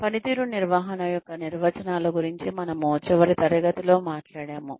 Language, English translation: Telugu, We talked about, the definitions of performance management, in the last class